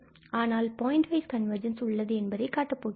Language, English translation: Tamil, So, that is what we call the pointwise convergence